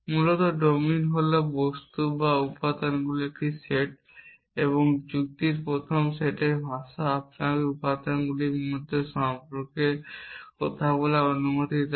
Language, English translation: Bengali, Essentially the domine is a set of object or elements and the language of first set of logic allow you to talk about relations between elements